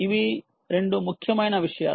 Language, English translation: Telugu, ok, these are the two important things